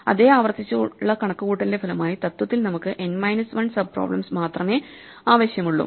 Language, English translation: Malayalam, So, as a result of this re computation of the same value again and again, though we in principle only need n minus 1 sub problems